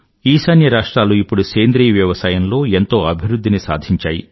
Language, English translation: Telugu, North east is one region that has made grand progress in organic farming